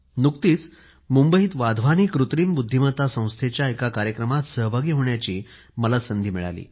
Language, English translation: Marathi, Recently I got an opportunity to take part in a programme in Mumbai the inauguration of the Wadhwani Institute for Artificial Intelligence